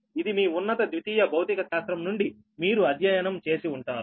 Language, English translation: Telugu, this also you have studied from your higher secondary physics, right